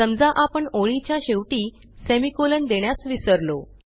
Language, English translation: Marathi, Let us try what happens if we put the semicolon here